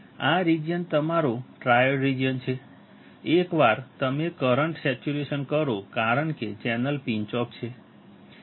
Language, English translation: Gujarati, This region is your triode region; once you saturate current saturates because the channel is pinched off